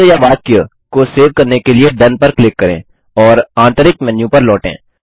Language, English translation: Hindi, Lets click DONE to save the word or sentence and return to the Internal menu